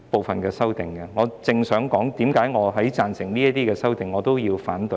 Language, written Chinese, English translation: Cantonese, 主席，我正想解釋為何我贊成這些修訂，同時也要反對。, President I am going to explain why I support these amendments and oppose them at the same time